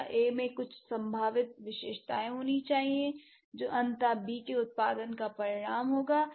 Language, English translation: Hindi, Second one, A must have some potential features which would eventually result in the production of B